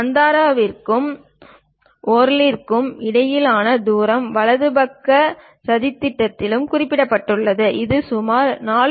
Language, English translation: Tamil, And the distance between Bandra and Worli is also mentioned on the right side plot; it is around 4